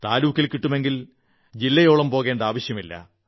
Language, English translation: Malayalam, If it is found in Tehsil, then there is no need to go to the district